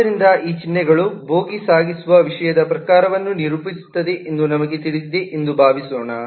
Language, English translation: Kannada, so let us suppose we know that these symbols characterize the type of content that the bogie transports